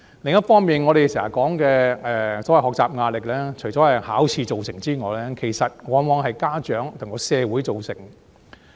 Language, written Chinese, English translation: Cantonese, 另一方面，我們經常說的學習壓力，除了是考試造成之外，往往亦由家長和社會造成。, On the other hand the pressures of study we often refer to are caused not only by exams but also by parents and society in many cases